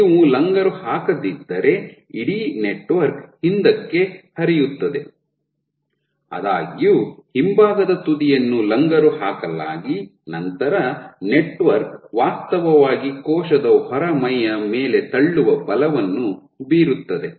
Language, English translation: Kannada, So, if you do not anchor then the entire network will flow back; however, your back end is anchored then the network will actually exert a pushing force on the wall